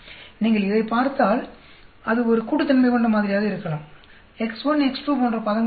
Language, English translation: Tamil, Whereas if you look at this, it can be an additive model; there will not be terms like x1, x2